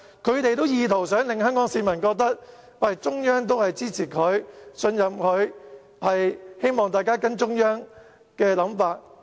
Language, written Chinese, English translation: Cantonese, 他們意圖令香港市民覺得中央支持他、信任他，希望大家跟隨中央的想法。, They intended to make Hong Kong people think that the Central Authorities support and trust the candidate and they hope that everyone will follow the ideas of the Central Authorities